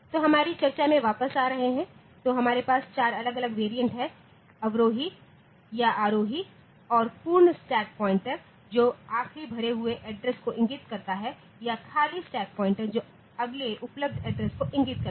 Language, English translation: Hindi, So, coming back to our discussion; So, we have got a 4 different variants, descending or ascending and full stack pointer points to the last occupied address or empty stack pointer points to the next available address